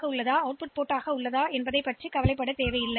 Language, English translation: Tamil, So, you do not need to bother about the setting up of input and output port